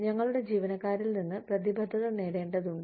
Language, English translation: Malayalam, We need to get commitment from our employees